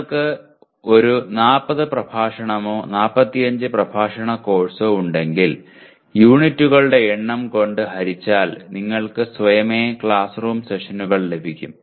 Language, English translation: Malayalam, Like if you have a 40 lecture or 45 lecture course then divided by the number of units will automatically give you the classroom sessions